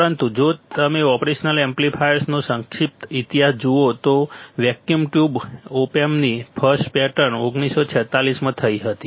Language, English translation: Gujarati, But if you see the brief history of operational amplifiers the first pattern of for vacuum tube op amp was in 1946, 1946